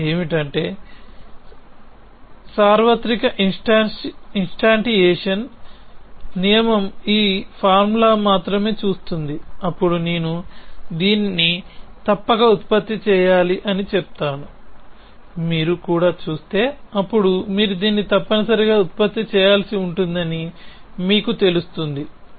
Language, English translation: Telugu, So, the difference is the universal instantiation rule only looks at this formula then says I must produce this whereas, if you also look that is then you would know the you have to produce this essentially